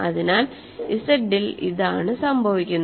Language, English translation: Malayalam, So, in Z, this what is this what happens